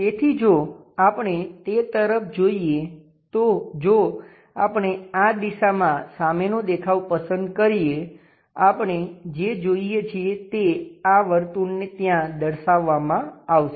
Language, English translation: Gujarati, So, if we are looking at that if we pick front view in this direction; what we see is, this circle will be represented there